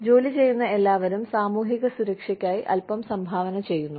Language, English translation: Malayalam, So, everybody, who is working, contributes a little bit towards, the social security